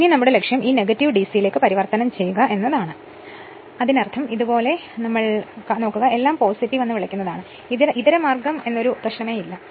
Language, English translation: Malayalam, Now our objective will be to convert this negative to DC; that means, if it if you doing like this, so all will be your what you call positive, so no question of alternating